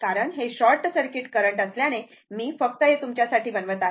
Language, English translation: Marathi, Because, as it is a short circuit current will I am just, I am making it for you